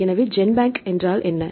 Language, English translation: Tamil, So, what is a GenBank right